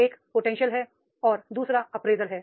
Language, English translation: Hindi, One is potential, other is appraisal